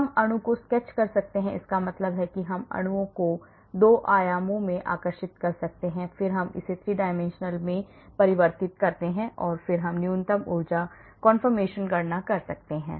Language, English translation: Hindi, we can sketch molecule that means we can draw molecules in 2 dimensional and then we convert it into 3 dimension and then we can calculate the energy